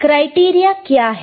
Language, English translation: Hindi, What is criteria